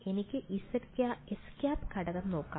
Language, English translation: Malayalam, Let us look at the x hat component